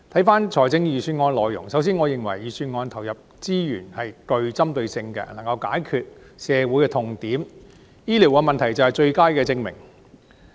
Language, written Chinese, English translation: Cantonese, 關於預算案的內容，首先，我認為預算案投放資源是對症下藥的，醫療問題便是最佳證明。, Regarding the specifics of the Budget first I believe that the commitment of resources in the Budget is targeted . The health care issue is the best case in point